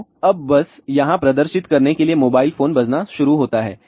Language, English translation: Hindi, So, now, just to give the demonstration here then a mobile phone starts ringing